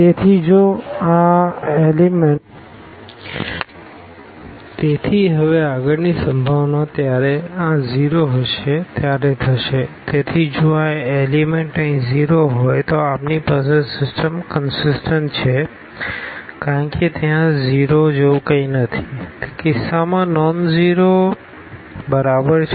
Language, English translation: Gujarati, So, if these elements are 0 here then we have that the system is consistent because there is nothing like 0 is equal to nonzero in that case